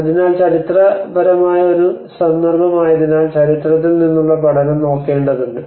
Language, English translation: Malayalam, So because being a historic context one has to look at the learning from history